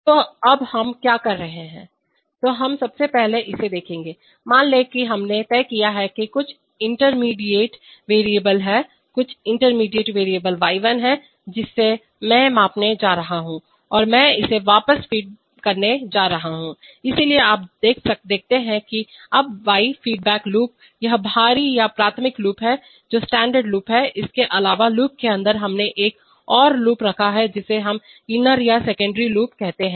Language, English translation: Hindi, So now what are we doing, so let us look at this first of all, suppose we have decided that there is some intermediate variable, there is some intermediate variable y1 which I am going to measure and I am going to feed it back, so you see that now the y feedback loop, this is the outer or primary loop which is the standard loop, in addition to that inside the loop we have put another loop which we call the inner or the secondary loop